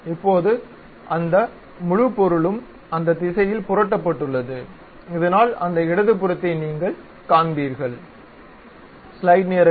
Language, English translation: Tamil, Now, that entire object is flipped in that direction, so that you will see that left one